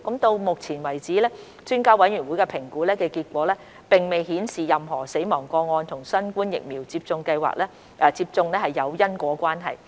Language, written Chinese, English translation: Cantonese, 到目前為止，評估專家委員會的評估結果並未顯示任何死亡個案與新冠疫苗接種有因果關係。, So far the assessment results of the Expert Committee have not indicated any causal relationship between death cases and the administration of vaccines